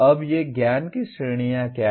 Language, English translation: Hindi, Now what are these categories of knowledge